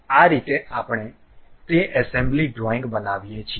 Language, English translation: Gujarati, This is the way we create that assembly drawing